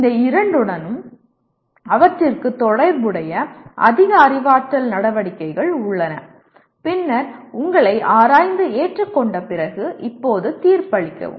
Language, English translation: Tamil, These two have more cognitive activities associated with them and then having examined and accepted you now judge